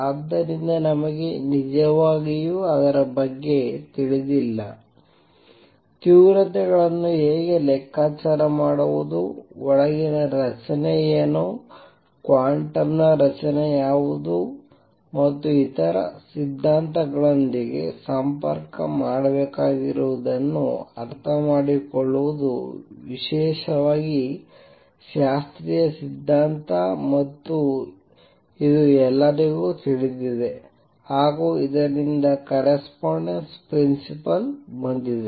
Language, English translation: Kannada, So, we do not really know; how to calculate intensities, what is the structure inside, what is the quantum structure and to understand all that one had to make connections with other theories particularly classical theory which is well known and that is where the correspondence principle came in